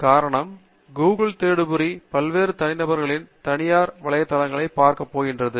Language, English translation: Tamil, The reason is Google search engine is going to look at private websites of various individuals